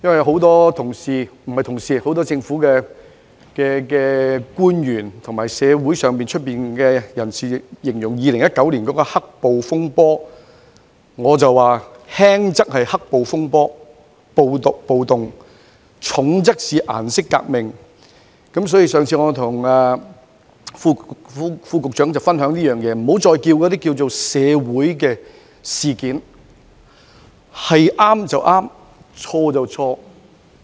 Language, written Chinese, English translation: Cantonese, 很多政府官員和社會人士均形容2019年的事件為"黑暴風波"，但我認為輕則是"黑暴風波"或暴動，重則是"顏色革命"，所以我曾建議局長不要再稱之為"社會事件"，因為對就是對，錯就是錯。, To me they were black - clad mob unrest or riots in less serious cases and a colour revolution in more serious cases . Therefore I once asked the Secretary to stop referring them as social incidents because right is right wrong is wrong